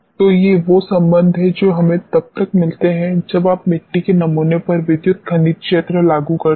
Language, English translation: Hindi, So, these are the relationship which we get when you apply electrical mineralogy field on the soil sample